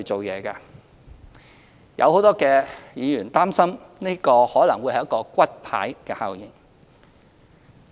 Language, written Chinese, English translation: Cantonese, 有很多議員擔心，這可能會是一個"骨牌效應"。, Many Members worry that this policy will have a domino effect